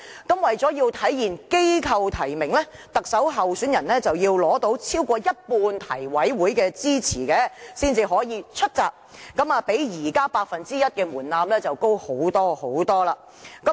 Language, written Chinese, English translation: Cantonese, 那麼為了體現機構提名，特首候選人須要取得超過一半提委會的支持才能"出閘"，較現時八分之一的門檻高很多。, To make full display of institutional nomination each candidate must have the endorsement of more than half of all the members of NC in order to enter the race . This threshold is way higher than the current arrangement which requires nominations by one eighth of the membership